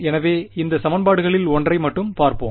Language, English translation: Tamil, So, let us look at just one of those equations ok